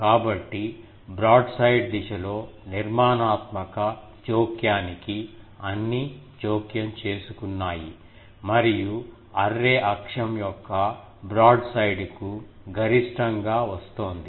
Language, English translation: Telugu, So, that is why in the broadside direction, all were getting interfere that constructive interference and the maximum was coming to the broadside of the array axis